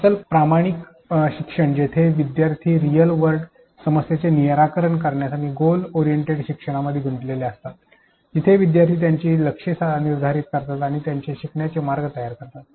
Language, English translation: Marathi, Authentic learning where learners engaged in the solving of real world problems and goal oriented learning where learners set their learning goals and planned their learning pathways